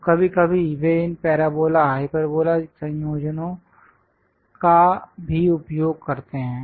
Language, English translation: Hindi, So, occasionally they use this parabola hyperbola combinations also